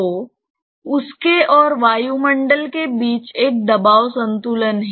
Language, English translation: Hindi, So, there is a pressure equilibrium between that and atmosphere